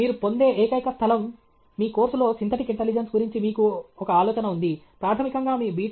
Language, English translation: Telugu, The only place where you get, where you have a idea of the synthetic intelligence in your course, is basically in your B